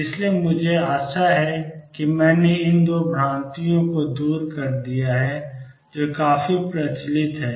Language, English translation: Hindi, So, I hope I have cleared these 2 misconceptions which are quite prevalent